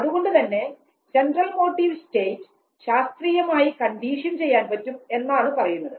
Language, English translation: Malayalam, And therefore, it is also suggested that the Central Motive State can be classically conditioned